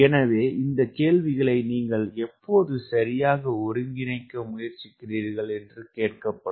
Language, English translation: Tamil, so all those questions will be asked: when will be actually trying to synthesize these concepts right